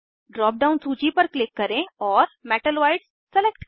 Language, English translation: Hindi, Click on the drop down list and select Metalloids